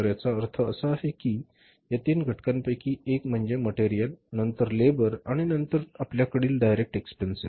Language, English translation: Marathi, So, it means in this case these three components one is the material then is the labor and then we have the direct expenses, these are the direct cost components